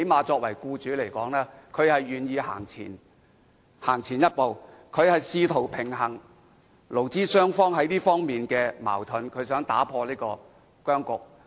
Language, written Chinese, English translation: Cantonese, 作為僱主，他最低限度願意走前一步，試圖平衡勞資雙方在這方面的矛盾，打破僵局。, As an employer himself he is at least willing to take a step forward to try to strike a balance in the disagreement between employers and employees and break the deadlock